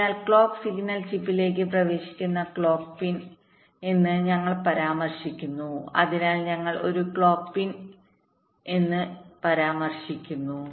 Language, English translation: Malayalam, through which the clock signal enters the chip, so we refer to as a clock pin